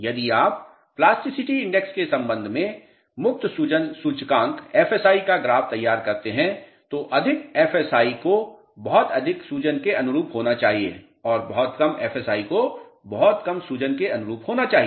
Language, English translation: Hindi, If you plot free swelling index with respect to plasticity index more FSI should correspond to very high swelling and very low FSI should correspond to very low swelling